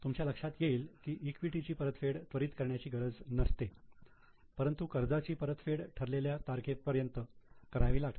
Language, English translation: Marathi, You will realize that equity need not be repaid immediately, whereas debt has to be repaid as on a due date